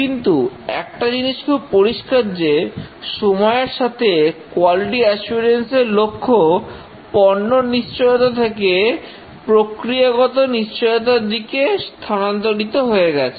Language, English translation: Bengali, But one thing is clear that over the years the quality paradigm has shifted from product assurance to process assurance